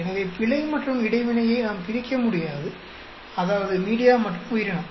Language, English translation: Tamil, So we cannot separate out error and interaction, that is media and organism